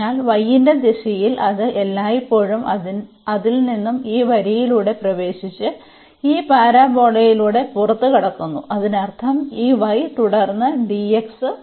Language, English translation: Malayalam, So, in the direction of y it always goes from it enters through this line and exit through this parabola so; that means, this y and then dx